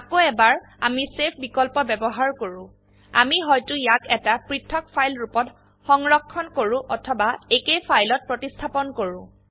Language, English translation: Assamese, Again as we use the Save option, we can either save it as a different file or replace the same file